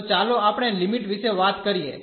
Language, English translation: Gujarati, So, let us talk about the limits